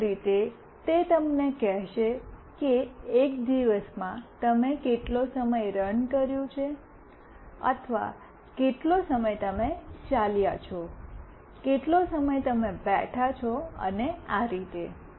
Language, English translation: Gujarati, Basically it will tell you that in a day how much time you have run or how much time you have walked, how much time you are sitting and so on